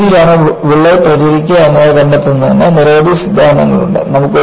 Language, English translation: Malayalam, There are many theories to say, to find out, which way the crack will propagate